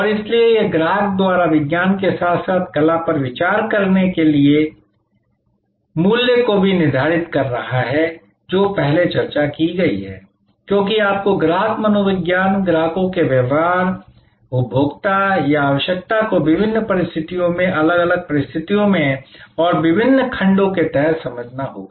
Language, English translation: Hindi, And so this is determining the value as perceive by the customer is science as well as art that has been discussed earlier, because you have to understand customer psychology, customers behavior, consumer or requirement under different circumstances, under in different situations and for different segments